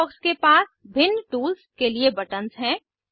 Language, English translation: Hindi, Toolbox contains buttons for different tools